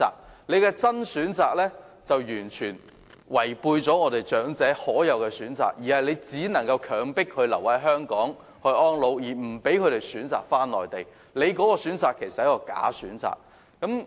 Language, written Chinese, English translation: Cantonese, 他所說的"真選擇"完全剝奪了長者可享有的選擇，強迫他們必須留在香港養老，令他們不能選擇返回內地，那其實是一個"假選擇"。, The genuine choice he referred to will totally deprive elderly persons of an option they can enjoy force them to stay in Hong Kong to live their retirement life make it impossible for them to choose to return and settle on the Mainland and this is actually a false choice